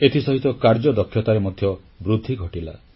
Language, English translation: Odia, This also helped in improving efficiency